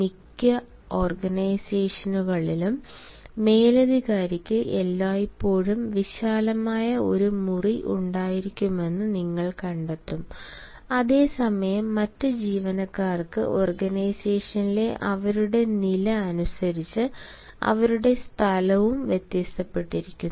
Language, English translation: Malayalam, in most of the organizations you will find the boss will always have a spacious chamber or a spacious room, whereas other employees, depending upon their status in the organization, their space also varies